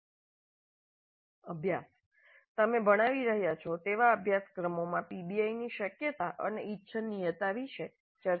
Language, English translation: Gujarati, So, an exercise discuss the feasibility and desirability of PBI in the courses that you are teaching